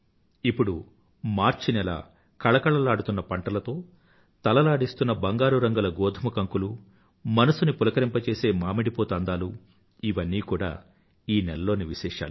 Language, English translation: Telugu, And now the month of March beckons us with ripe crops in the fields, playful golden earrings of wheat and the captivating blossom of mango pleasing to the mind are the highlights of this month